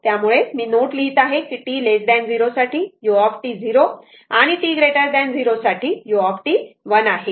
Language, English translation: Marathi, So, that is why I writing note that for t less than 0 u t is equal to 0 and for t greater than 0 u t is equal to 1 right